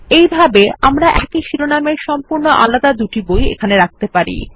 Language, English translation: Bengali, This way, we can have two completely different books with the same title